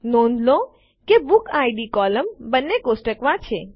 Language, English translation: Gujarati, Notice that the BookId column is in both the tables